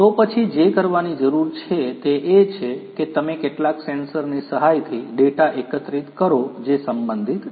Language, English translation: Gujarati, Then what needs to be done is that you collect the data you with the help of some sensors which are relevant